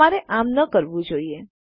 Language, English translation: Gujarati, You shouldnt do so